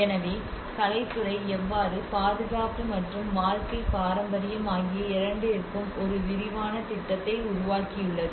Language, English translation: Tamil, So how you know the arts department have developed a comprehensive plan for both the conservation and the living heritage